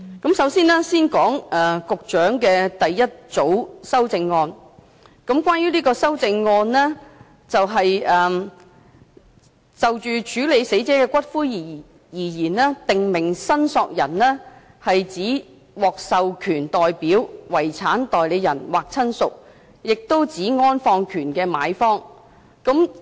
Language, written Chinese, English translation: Cantonese, 我先說一說局長的第一組修正案，這項修正案欲修訂的條文關於就死者的骨灰而言，"訂明申索人"是指"獲授權代表、遺產代理人或親屬，亦指安放權的買方"。, I will first talk about the Secretarys first group of amendments . This group of amendments seeks to amend the provision that in relation to the ashes of a deceased person a prescribed claimant means an authorized representative a personal representative or relative or the purchaser of the interment right